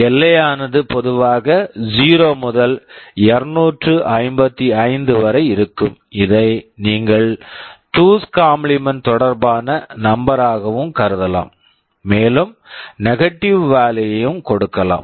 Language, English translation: Tamil, The range is typically 0 to 255, you can also regard it as a 2’s complement number you can give a negative value also